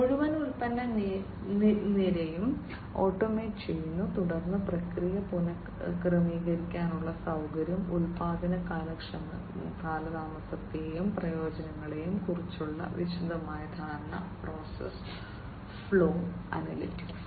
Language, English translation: Malayalam, So, automating the entire product line basically automating the entire product line; then ease of process re adjustment facility, detailed understanding of production delay and failures, and process flow analytics